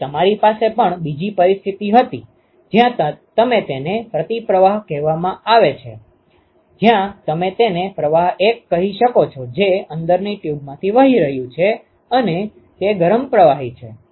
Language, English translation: Gujarati, Now, you also have another situation was to have another situation, where it is called the counter flow counter current flow ok, where you have let us say fluid 1 which is flowing through the inside tube and it is a hot fluid